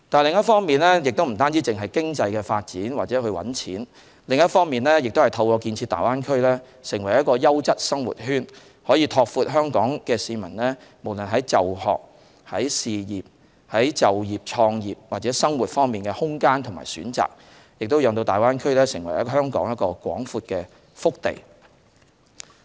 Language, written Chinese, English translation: Cantonese, 另一方面，除了經濟發展或賺錢外，亦可透過建設大灣區成為一個優質生活圈，拓闊香港市民無論在就學、就業、創業或生活方面的空間和選擇，使大灣區成為香港廣闊的腹地。, On the other hand the Greater Bay Area apart from providing opportunities for economic development or profit making can also be developed into a quality living circle which will expand the space and choices for studying working starting business or living of Hong Kong residents and hence become a vast hinterland of Hong Kong